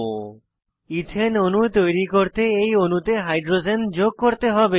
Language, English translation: Bengali, We have to add hydrogens to this molecule to create an ethane molecule